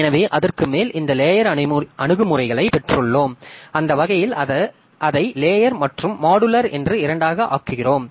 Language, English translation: Tamil, So, on top of that we have got this layered approaches and that way we make it both layered and modular